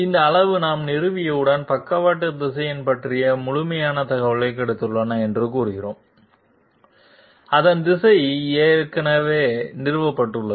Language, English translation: Tamil, This magnitude once we establish, we will say that we have got the complete information about the sidestep vector, its direction is already established